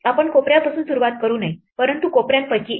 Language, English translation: Marathi, We should not start at the corner, but one of the corners